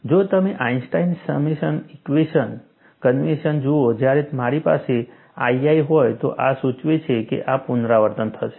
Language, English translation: Gujarati, If you look at the Einstein summation convention, when I have i i, this indicates, that this would repeat